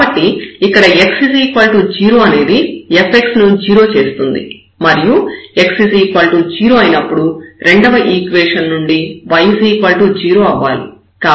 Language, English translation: Telugu, So, here x is equal to 0 makes this f x 0 and then when x is 0, so y has to be also 0 from the second equation